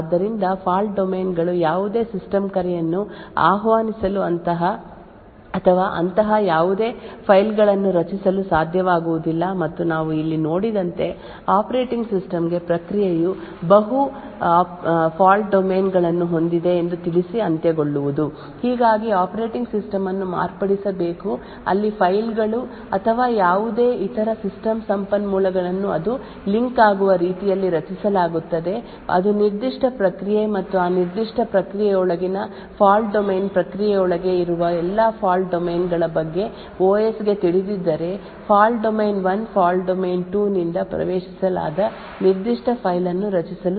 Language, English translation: Kannada, So one trivial way what we have seen before is to prevent any such system calls or interrupts so on and therefore fault domains would never be able to invoke any system call or create any such files and other way as we seen over here is to end to let the operating system know that the process has multiple fault domains thus the operating system has to be modified where files or any other system resources are created in such a way that it gets linked to a particular process as well as the fault domain within that particular process, if the OS is thus aware of all the fault domains present within the process the fault domain 1 would be able to create a particular file which is not accessible by fault domain 2